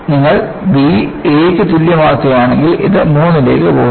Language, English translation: Malayalam, And, if you make b equal to a, this goes to 3